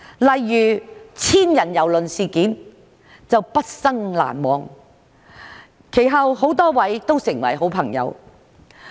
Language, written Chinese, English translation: Cantonese, 例如千人郵輪事件就是畢生難忘的，其後很多位都成為了好朋友。, For instance the cruise ship incident where thousands of people were affected is an unforgettable experience . Subsequently many people became my friends